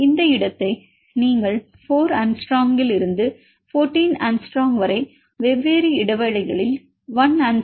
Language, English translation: Tamil, This space you can change that you can say from 4 angstrom to 14 angstrom in term it with the different intervals say 1 angstrom or 0